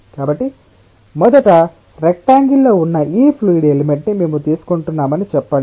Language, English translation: Telugu, so let us say that we are taking this fluid element which was originally rectangular